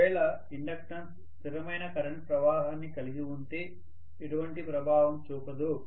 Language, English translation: Telugu, The inductance will not have any effect if it is carrying a steady current